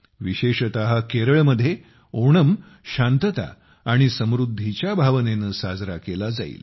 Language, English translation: Marathi, Onam, especially in Kerala, will be celebrated with a sense of peace and prosperity